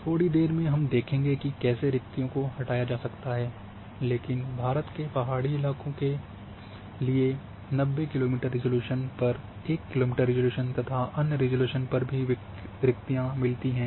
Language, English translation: Hindi, Little later we will see how voids can be removed, but any way for hilly terrains of India and voids were there even at 90 kilometre resolution 1 kilometre resolution and those other resolution as well